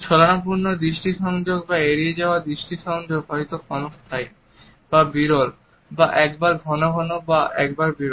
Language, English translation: Bengali, The shifty eye contact or an avoiding eye contact maybe fleeting or infrequent or frequent and infrequent alternatively